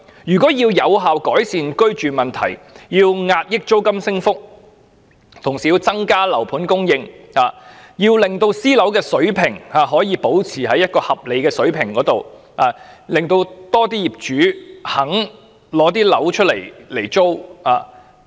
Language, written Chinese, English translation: Cantonese, 要有效改善居住問題，壓抑租金升幅，政府應同時增加單位供應，將私樓的租金維持在合理水平，並鼓勵更多業主出租單位。, To effectively improve the housing problem apart from suppressing rent increases the Government should augment the supply of housing flats at the same time; keep the rents of private properties at a reasonable level and encourage more owners to rent out their flats